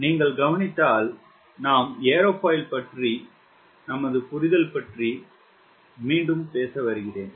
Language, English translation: Tamil, as you have been noticing that we are continuing our understanding about aerofoil